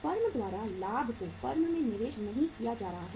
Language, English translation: Hindi, Profit is not going to be invested by the firm